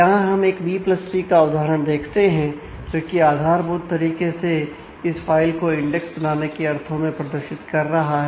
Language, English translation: Hindi, So, here we I show an instance of a B + tree, which is basically trying to represent this file in terms of the creating indexes